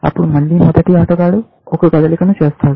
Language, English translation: Telugu, Then, the first player makes a move, again